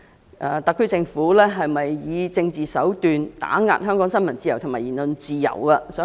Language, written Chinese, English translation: Cantonese, 各界對特區政府有否以政治手段打壓香港新聞自由和言論自由表示憂慮。, All sectors have expressed concerns about whether the SAR Government have suppressed freedom of the press and freedom of speech in Hong Kong through political means